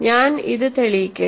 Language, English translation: Malayalam, Let me prove this